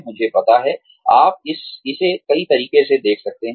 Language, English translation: Hindi, I know, you can see it in many ways